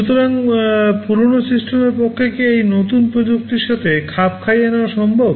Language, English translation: Bengali, So, is it possible for the older system to adapt to this new technology